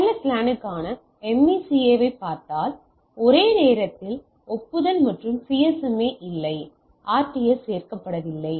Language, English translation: Tamil, So, if we look at that MACA for WLAN added acknowledge and CSMA no RTS at the same time